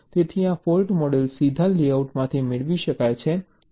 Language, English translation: Gujarati, so this fault models can be derived directly from the layout